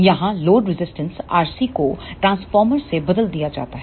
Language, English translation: Hindi, Here the load resistance R C is replaced by the transformer